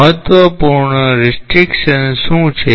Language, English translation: Gujarati, What are the important restrictions